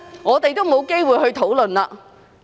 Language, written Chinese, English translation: Cantonese, 我們沒有機會討論。, We will not have any opportunities for discussion